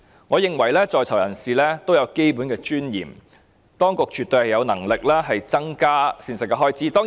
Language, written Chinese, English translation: Cantonese, 我認為在囚人士也有基本尊嚴，當局絕對有能力增加膳食開支。, I think persons in custody also have basic dignity . The authorities absolutely have the means to increase the expenditure for meal provisions